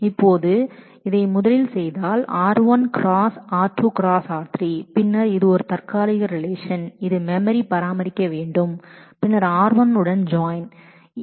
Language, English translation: Tamil, Now if I do this first then this is a temporary relation which I will need to maintain in memory and then join with r1